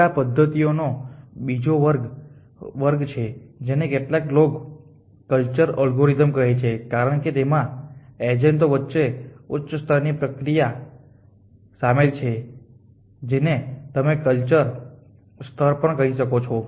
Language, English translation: Gujarati, Now, there is the another clause of methods which some people call as cultural algorithms, because they involve high level interaction between the agency at what you my say is a cultural level